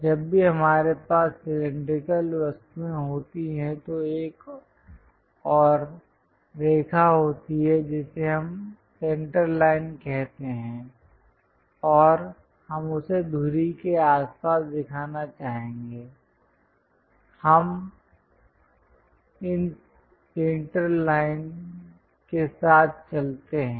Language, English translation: Hindi, There is one more line called center line whenever we have cylindrical objects and we would like to show about that axis, we go with these center lines